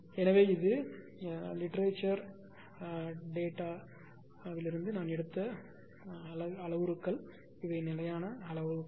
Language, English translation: Tamil, These are the parameter actually I have taken from the from literature standard parameters these are the standard parameters